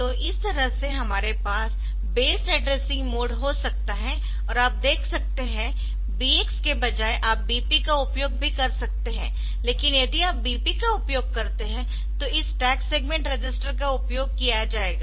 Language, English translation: Hindi, So, this way we can have the based addressing mode and you see instead of BX you can also use BP, but if you use BP, then this stag segment register will be used